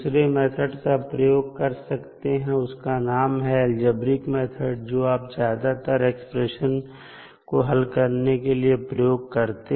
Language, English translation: Hindi, Another method is that you can use simple algebraic method, which you generally use for solving the general expressions